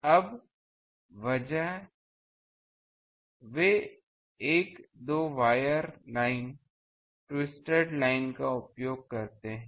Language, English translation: Hindi, Now, instead they use a two wire line, twisted line